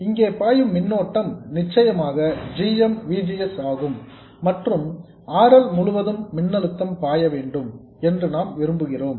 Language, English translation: Tamil, The current that flows here is of course GMVGS and what we want is the voltage across RL